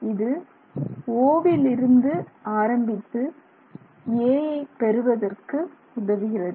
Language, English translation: Tamil, This is O and this is A